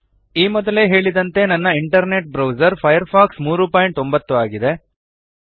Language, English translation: Kannada, As I said before, my internet browser is Firefox 3.09